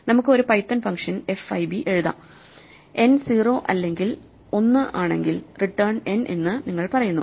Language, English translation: Malayalam, We can just write a python function fib which says if n is 0 or n is 1, you return the value n itself